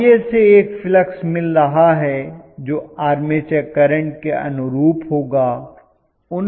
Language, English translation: Hindi, Ia produces a flux which is corresponding to armature